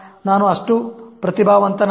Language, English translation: Kannada, I'm not that talented